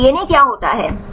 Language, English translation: Hindi, Then contains DNA